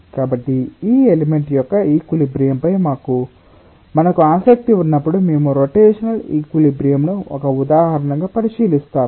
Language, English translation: Telugu, so when you are interested about the equilibrium of this element, we will consider the rotational equilibrium as an example